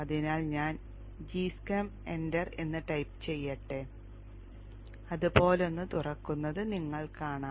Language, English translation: Malayalam, So let me type G Shem, enter, and you will see a G Y something like this opens up